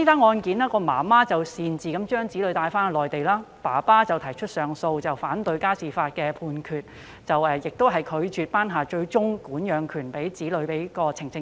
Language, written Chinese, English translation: Cantonese, 案中母親擅自將子女帶往內地，父親提出上訴，反對家事法庭的判決，即法庭拒絕頒下最終管養令將子女管養權判給呈請人。, In the case the child was taken by his mother unilaterally to the Mainland and his father appealed against the decision of the Court declining to make a final custody order in his favour